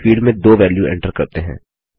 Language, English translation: Hindi, Let us enter the value 2 in the field